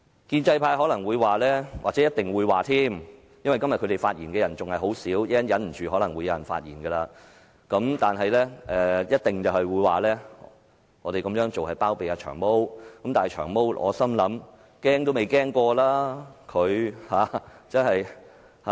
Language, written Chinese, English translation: Cantonese, 建制派可能或一定會說——因為他們今天發言的人仍少，但稍後有可能忍不住而有人發言——我們這樣做是包庇"長毛"，但我心想，"長毛"根本都未怕過。, Today not many pro - establishment Members have spoken but when they cannot bear this any longer and opt to speak later on they will likely claim that we are harbouring Long Hair . Indeed I just think that Long Hair is not worried at all